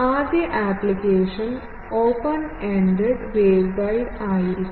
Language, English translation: Malayalam, The first application will be open ended waveguide